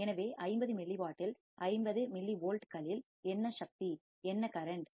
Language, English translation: Tamil, So, at 50 milliwatt, at 50 millivolts, what is the power, what is the current